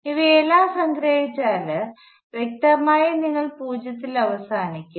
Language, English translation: Malayalam, If you sum up all of these things; obviously, you will end up with zero